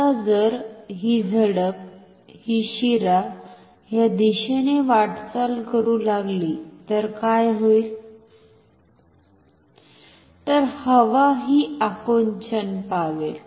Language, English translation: Marathi, Now, if this flap, the vein is say moving towards this direction, then what will happen air will get compressed